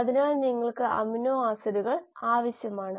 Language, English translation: Malayalam, So you need the amino acids